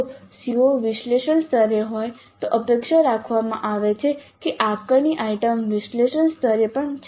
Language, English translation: Gujarati, If the CO is at analyze level it is expected that the assessment item is also at the analyzed level